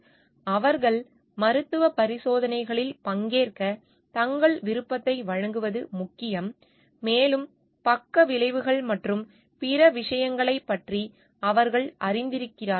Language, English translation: Tamil, It is important that they give their free will to participate in medical experiments and they are aware of it of the maybe the side effects and other things